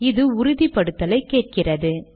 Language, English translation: Tamil, It asks for authentication